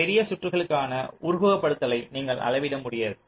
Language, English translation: Tamil, you cannot scale up the simulation for larger circuits